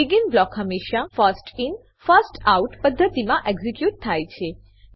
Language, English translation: Gujarati, BEGIN blocks always get executed in the First In First Out manner